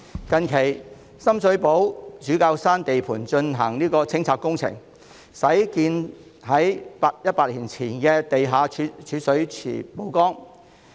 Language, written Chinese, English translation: Cantonese, 近期，深水埗主教山地盤進行清拆工程，具100年歷史的地下蓄水池因而曝光。, Recently a 100 - year - old cistern has been unearthed during a demolition project at Bishop Hill in Sham Shui Po